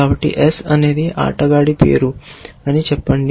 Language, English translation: Telugu, So, let us say S is a name of a player